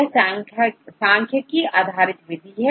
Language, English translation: Hindi, So, it is a statistical based method right